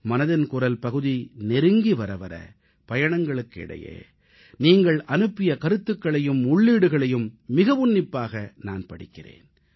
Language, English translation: Tamil, Andas the episode of Mann Ki Baat draws closer, I read ideas and inputs sent by you very minutely while travelling